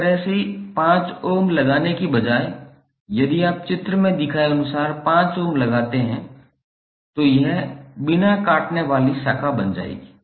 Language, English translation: Hindi, Instead of putting 5 ohm like this if you put 5 ohm as shown in this figure, it will become non cutting branch